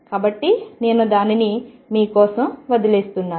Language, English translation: Telugu, So, I leave it for you